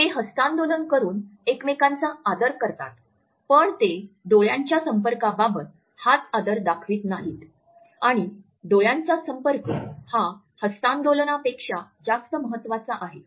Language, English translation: Marathi, So, they give that mutual respect of a handshake by they do not give that mutual respect of the eye contact and the eye contact is way more important than the hand